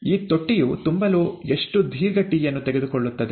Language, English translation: Kannada, How long would it take t to fill this tank